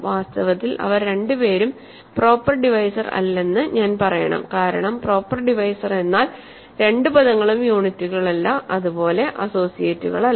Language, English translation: Malayalam, Actually, I should say they are both not proper divisors because a proper divisor is one where both terms are not units and not associates, right